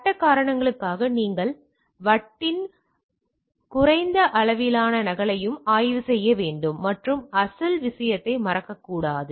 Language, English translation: Tamil, For legal reason you should also examine a low level copy of the disk and not modify the original thing, right